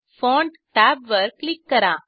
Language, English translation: Marathi, Click on Font tab